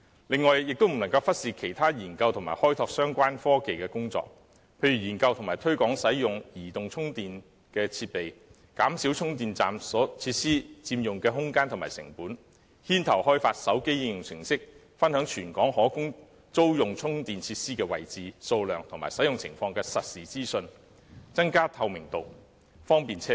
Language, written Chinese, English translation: Cantonese, 另外，也不能忽視其他研究及開拓相關科技的工作，例如研究及推廣使用移動充電的設備，減少充電設施所佔用的空間和成本，牽頭開發手機應用程式，分享全港可供租用充電設施的位置、數量和使用情況的實時資訊，增加透明度，方便車主。, In addition the Government cannot neglect such work as studying and exploring the technology concerned . It should for example study and promote the use of mobile charging devices reduce the space occupied by charging facilities and their cost and take the lead in launching mobile application to share the real - time information on the location number and availability of rentable charging - equipped parking spaces across the territory in order to enhance transparency and facilitate EV owners